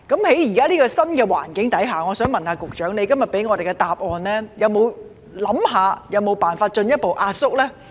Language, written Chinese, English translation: Cantonese, 在現時這個新環境下，我想問，局長今天給我們答案時有否考慮有否辦法進一步壓縮程序呢？, In the current new environment may I ask the Secretary in giving us a reply today whether he has considered if ways are available to further compress the procedures?